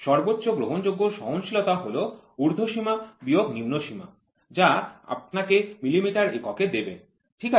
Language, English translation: Bengali, The maximum permissible tolerance is upper limit minus lower limit giving you this unit will be millimeters, ok